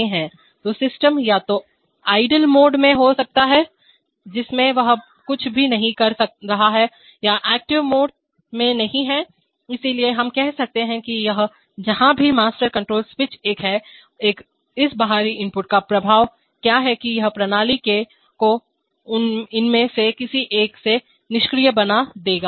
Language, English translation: Hindi, So the system could either be in the idle mode in which it is doing nothing, it is not in the active mode, or among, so we can say that this wherever the master control switch is one, what is the effect of this external input that it will make the system from idle to any one of these